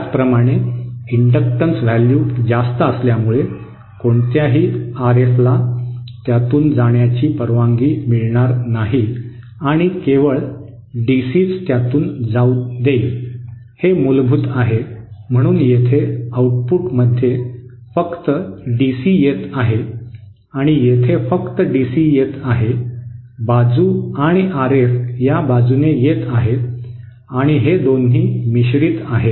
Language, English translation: Marathi, Similarly, because of the high inductance value it will not allow any RF to pass through it and it will allow only DC to pass through it, so that is the basic so at the output here only DC is coming and here only DC is coming from the side and RF is coming from this side and 2 are mixed